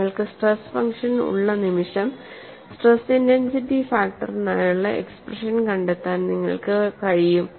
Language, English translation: Malayalam, And once you have the stress function, it is possible for you to find out the stress intensity factor by using this expression